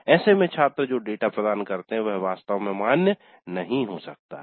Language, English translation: Hindi, That also makes the students provide data which may not be really valid